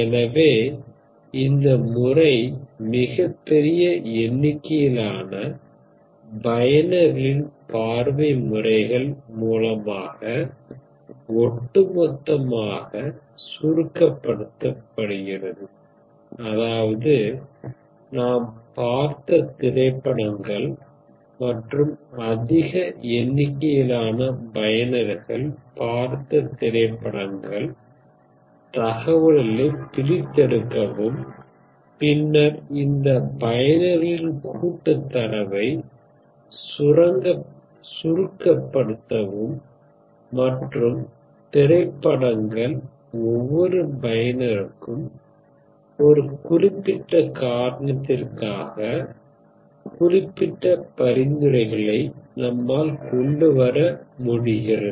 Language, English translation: Tamil, So what do you do for this is basically you collectively mine the viewing patterns of an extremely large number of users, that is users that is all the movies you have seen and the movies that a large number of users have seen, come up with these, so mine these patterns to extract information and then based on this mining of this collective data of users and movies, you come up with the specific set of recommendations for a particular reason for that matter for each user, which is in fact, which you consider this problem by itself is very fascinating